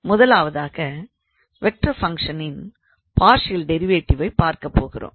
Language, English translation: Tamil, So, how do we basically define the partial derivative of a vector function